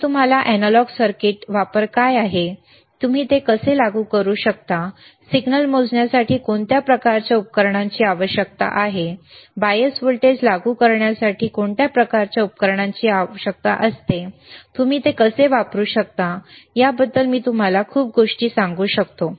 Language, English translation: Marathi, I can tell you a lot of things about analog circuits, what is the use, how you can apply it, what kind of equipment you require for measuring the signal, what kind of equipment you require to apply the bias voltage, how can you can use multimeter, right